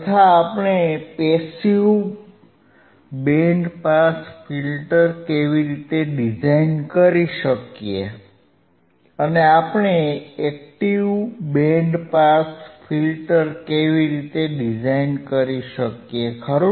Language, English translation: Gujarati, And how we can how we can design the passive band pass filter, and how we can design the active band pass filter, right